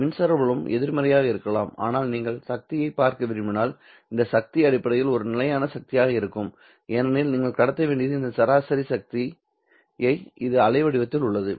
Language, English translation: Tamil, Remember, electric field can be negative, but if you were to look at the power, then this power would essentially be a constant power because what you would be transmitting is the average power contained in this waveform